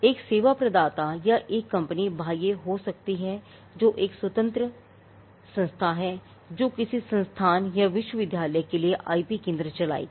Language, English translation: Hindi, The external one could be a service provider or a company which is an independent entity which would run the IP centre for an institute or a university